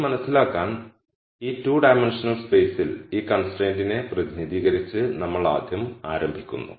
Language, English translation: Malayalam, To understand this we rst start by representing this constraint in this 2 dimensional space